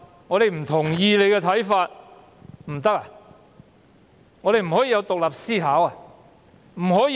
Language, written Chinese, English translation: Cantonese, 我們不可以有獨立思考嗎？, Are we not allowed to think independently?